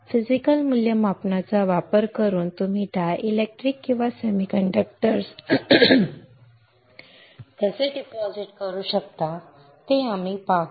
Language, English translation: Marathi, We will see how you can deposit dielectrics or semiconductors right using physical evaluation